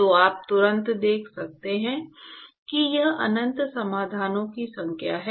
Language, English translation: Hindi, So, you can immediately see that it is actually infinite number of solutions